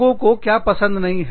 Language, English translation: Hindi, People do not like that